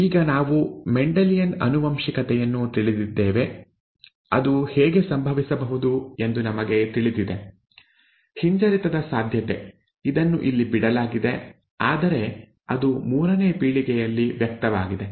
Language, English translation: Kannada, Now that we know Mendelian inheritance, we know how this can happen, the recessive possibility it is skipped here whereas it is manifested in the third generation